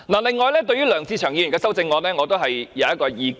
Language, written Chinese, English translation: Cantonese, 另外，對於梁志祥議員的修正案我也有意見。, Moreover I have something to say about Mr LEUNG Che - cheungs amendment